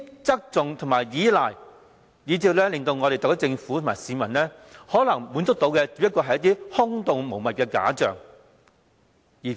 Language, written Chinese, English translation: Cantonese, 這種側重和依賴，令特區政府和市民，只能夠得到一些空洞無物的假象。, With such emphasis and reliance the SAR Government and its people will only get empty mirages